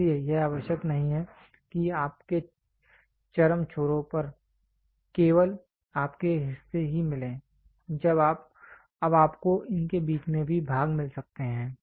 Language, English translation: Hindi, So, it is not necessary it that your extreme ends only you get parts, now you also get part in this in between